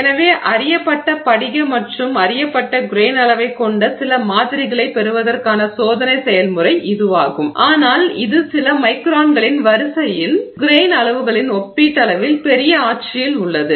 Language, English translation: Tamil, So, this is the experimental process for getting us, getting ourselves some samples with known grain size but in a relatively larger regime of grain sizes of the order of few microns